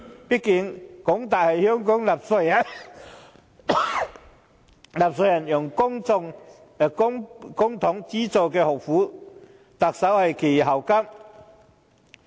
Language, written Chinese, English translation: Cantonese, 畢竟，港大是香港納稅人用公帑資助的學府，特首是其校監。, After all HKU is an institute funded by the Hong Kong taxpayers using public money and the Chief Executive is its Chancellor